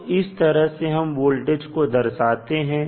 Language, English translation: Hindi, So, this is how you will represent the voltage